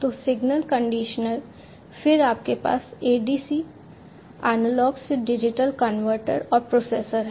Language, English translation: Hindi, So, signal conditioner, then you have the ADC, the analog to digital converter and the processor